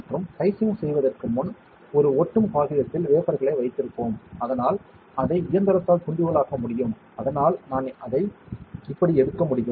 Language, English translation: Tamil, And before dicing we keep the wafer on a sticky paper, so that it can be diced by the machine that is why I can take it like this